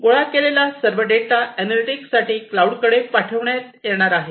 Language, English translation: Marathi, And all these data will be sent to the cloud for further analytics and so on